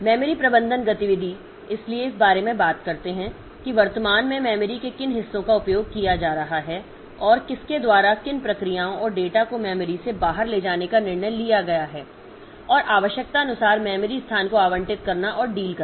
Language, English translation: Hindi, So, memory management activities so they talk about keeping track of which parts of memory are currently being used and by whom deciding which processes and data to move into and out of memory so and allocating andocating memory space as needed